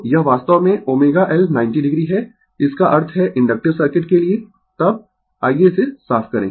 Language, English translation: Hindi, So, this is actually omega L 90 degree; that means, for inductive circuit then, let me clear it